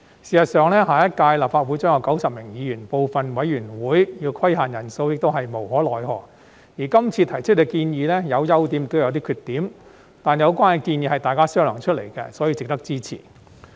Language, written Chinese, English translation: Cantonese, 事實上，下一屆立法會將有90名議員，部分委員會要規限人數亦是無可奈何，而今次提出的建議有優點亦有缺點，但有關建議是大家商量出來的，所以值得支持。, In fact the next term of the Legislative Council will have 90 Members and imposing a limit on the number of members of some committees is the only alternative when nothing else can be done . While these proposals made this time around have their pros and cons they are the results of discussions by Members and are therefore worthy of support